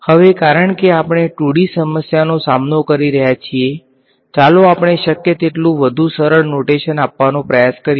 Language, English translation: Gujarati, Now, because we are dealing with the 2D problem let us try to just simplify notation as much as possible